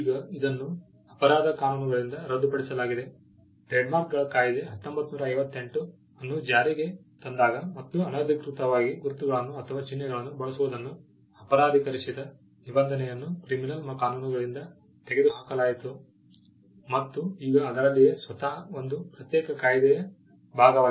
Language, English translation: Kannada, Now, this was repealed from the criminal laws; when the Trademarks Act, 1958 was enacted and we had a special regime the provision which criminalized unauthorized use of marks was removed from the criminal statutes and it was now a part of a separate act in itself